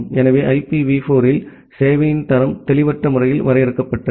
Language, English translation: Tamil, So in IPv4 the quality of service was vaguely defined